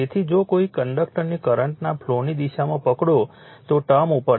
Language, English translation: Gujarati, So, if you grasp a conductor in the direction of the flow of the current you will see term is up